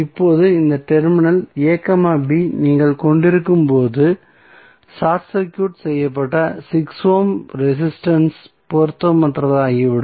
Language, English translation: Tamil, Now, when you have this terminal a, b short circuited the 6 ohm resistance will become irrelevant